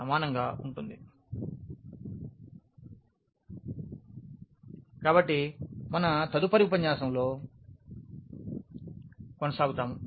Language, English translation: Telugu, So, more on this we will continue in our next lecture